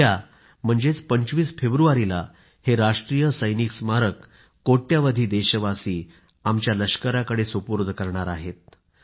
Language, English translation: Marathi, Tomorrow, that is on the 25th of February, crores of we Indians will dedicate this National Soldiers' Memorial to our Armed Forces